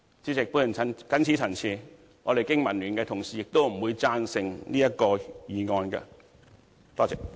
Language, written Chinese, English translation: Cantonese, 主席，我謹此陳辭，經民聯的同事不會贊成這項議案。, With these remarks President my colleagues of the Business and Professionals Alliance for Hong Kong and I will not vote for the motion